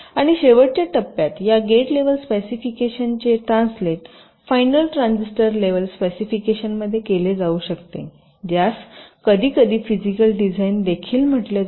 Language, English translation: Marathi, and in the last step, this gate level specification might get translated to the final transistor level specification, which is sometimes called physical design